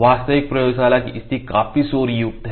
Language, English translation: Hindi, So, the laboratory actual laboratory conditions are quite noisy